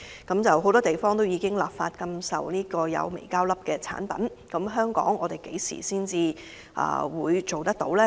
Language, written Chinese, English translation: Cantonese, 全球許多地方已立法禁售含微膠粒的產品，但香港何時才會立法規管？, Many countries have legislated against the sale of products containing microplastics but when will similar regulation be implemented in Hong Kong?